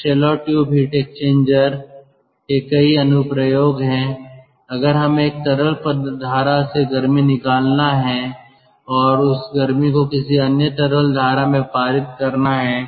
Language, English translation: Hindi, so there are many applications of shell and tube heat exchanger if we have to extract heat from a liquid stream and that heat has to be passed on to another liquid stream